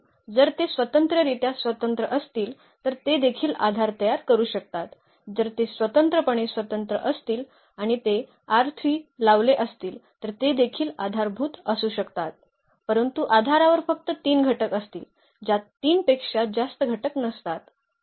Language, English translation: Marathi, Because, if they are linearly independent then they can form a basis also, if they are linearly independent and they span the R 3 then they can be also basis, but basis will have only 3 elements not more than 3 elements